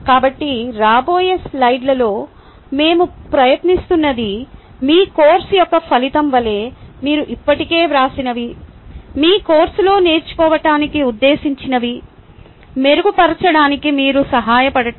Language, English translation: Telugu, so in the coming slides, what we are trying is to help you to fine tune what you have already written as the outcome for your course intended learning in your course